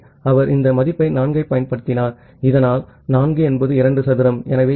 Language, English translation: Tamil, So, he has used this value 4 so that, 4 is 2 square